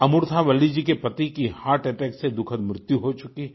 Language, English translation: Hindi, Amurtha Valli's husband had tragically died of a heart attack